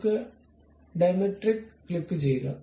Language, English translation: Malayalam, So, let us click Diametric